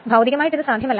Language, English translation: Malayalam, So, it is physically not possible